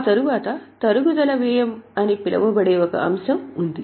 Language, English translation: Telugu, After that, there is an item called as depreciation expense